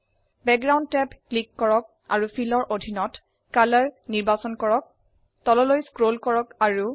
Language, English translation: Assamese, Click the Background tab and under Fill and select Color